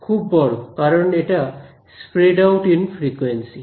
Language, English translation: Bengali, Very large; it is spread out in frequency